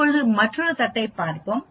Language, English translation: Tamil, Now let us look at another plate